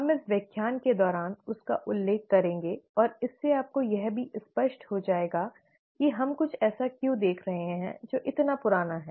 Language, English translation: Hindi, We will refer to him during the course of this lecture and it will also become clear to you why we are looking at something that is so old